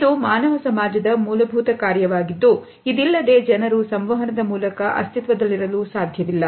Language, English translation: Kannada, This is a fundamental function of human society without which we cannot exists